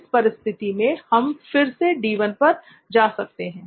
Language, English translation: Hindi, Again for this situation we can go back to D1